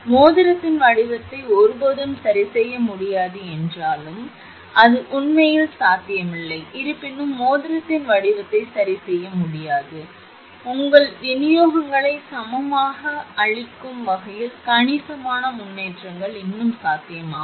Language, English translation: Tamil, Though the shape of the ring can never be adjusted, it is not possible actually, though the shape of the ring can be never be so adjusted as to give perfectly equal your distributions considerable improvements are still possible